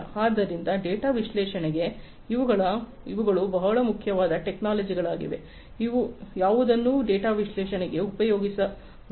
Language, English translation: Kannada, So, these are very important technologies for an analysis of the data, which could be used for analysis of the data, in the big data context in Industry 4